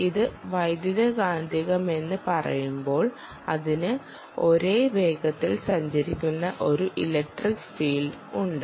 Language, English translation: Malayalam, when you say electromagnetic, it has an electric and magnetic field